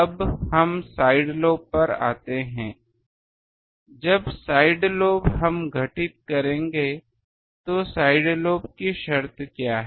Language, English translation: Hindi, Now let us come to the side lobes when side lobes we will occur what is the conditional side lobe to occur